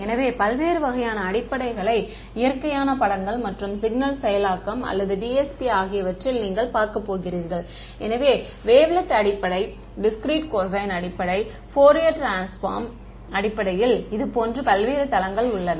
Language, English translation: Tamil, So, we are going to look at natural images and in signal processing or DSP you have looked at different kinds of basis; so, there are things called wavelet basis, discrete cosine basis, Fourier transform basis, various such bases are there right